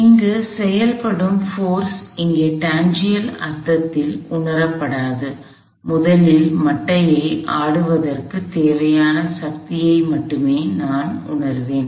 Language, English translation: Tamil, So, a force at acting here would not be felt in a tangential sense here, all I would feel is the force necessary to swing the bat in the first place